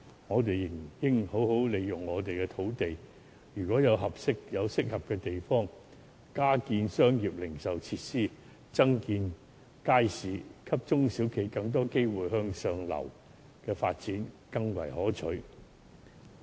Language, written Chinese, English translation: Cantonese, 我們仍應好好利用土地，在適合的地點加建商業零售設施和街市，給中小企更多機會向上流發展。, We should make good use of our land to build retail facilities and markets at suitable sites to provide more opportunities for upward development of small and medium enterprises